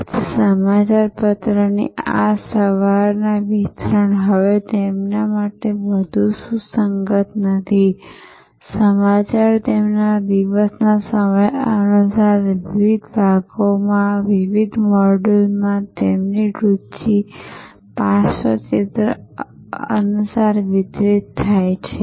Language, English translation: Gujarati, So, this morning delivery of newspaper is no longer very relevant to them, news gets delivered according to their time of the day according to their interest profile in various chunks, in various modules